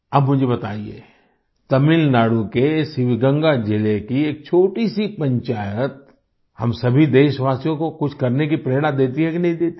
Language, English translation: Hindi, Now tell me, a small panchayat in Sivaganga district of Tamil Nadu inspires all of us countrymen to do something or not